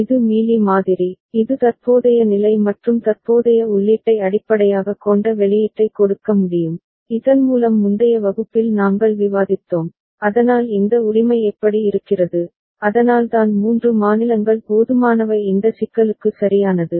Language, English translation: Tamil, That is the Mealy model, it can give the output based on current state as well as the current input ok, so that we discussed in the previous class, so that is how it looks like this right, so that is why 3 states are sufficient right for this problem